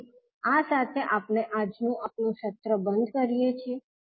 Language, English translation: Gujarati, So with this we can close our today’s session